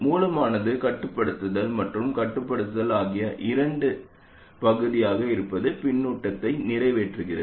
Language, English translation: Tamil, The source being part of both the controlling and control side accomplishes feedback